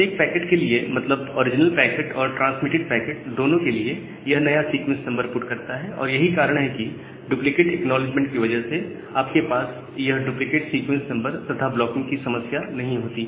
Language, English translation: Hindi, And for every packet, that means the original packet as well as the retransmitted packet, it puts a new sequence number, so that is why you do not have this problem of duplicate sequence number and blocking due to this duplicate acknowledgements